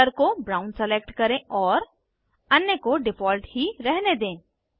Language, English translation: Hindi, Select Fill color as brown and leave the others as default